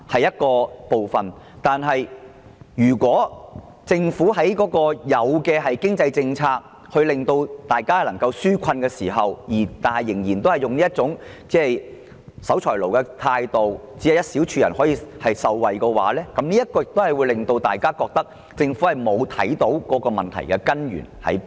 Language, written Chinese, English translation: Cantonese, 如果政府在制訂經濟上的紓困政策時，仍然抱有這種守財奴的態度，只讓一小撮人受惠，亦會令大家感到政府沒能掌握問題的根源。, If the Government still adopts such a miserly attitude in its formulation of policies on economic relief to merely benefit a small group of people the public will only form the opinion that the Government has failed to understand the root cause of the problem